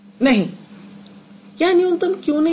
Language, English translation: Hindi, Why it is not minimal